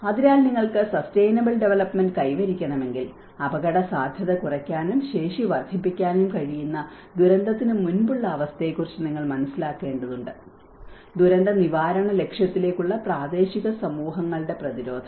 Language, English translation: Malayalam, So, it talks about if you want to achieve the sustainable development, you need to understand that pre disaster conditions which can reduce the risk and vulnerability and increase the capacity, the resilience of local communities to a goal of disaster prevention